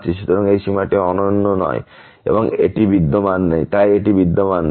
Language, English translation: Bengali, So, this limit is not unique and hence it does not exist